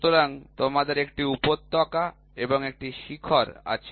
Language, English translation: Bengali, So, you have a peak you have a valley